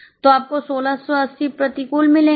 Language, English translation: Hindi, So, you will get 1680 adverse